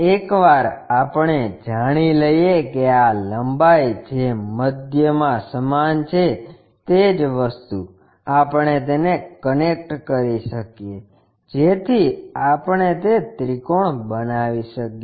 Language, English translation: Gujarati, Once we know that this length which is at middle the same thing we can connect it, so that we can make that triangle